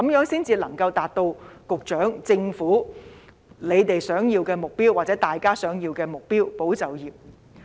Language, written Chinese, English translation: Cantonese, 這樣才能夠達到局長和政府的目標，或市民大眾的目標，便是"保就業"。, In so doing the Secretary and the Government as well as the public can achieve the objective of preserving jobs